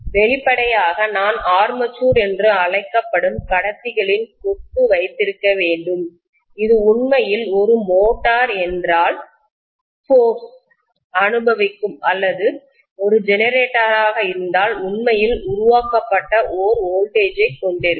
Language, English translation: Tamil, Obviously I have to have the bunch of conductors which is known as armature which will actually experience the force if it is a motor or which will actually have the generated voltage if it is a generator